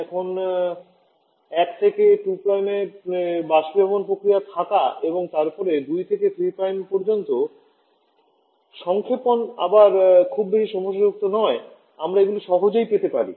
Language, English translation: Bengali, Now having the evaporation process from 1 to 2 prime and then the compression from 2 to 3 Prime is again not too much problematic we can easily get them